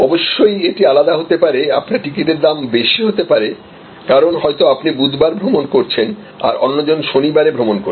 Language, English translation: Bengali, Of course, it can also be different, because you are travelling on Wednesday and therefore, your price will be higher, then somebody whose travelling may be on Saturday